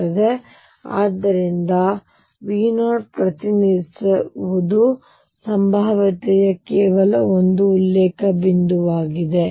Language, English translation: Kannada, And therefore, what V 0 represents is just a reference point for the potential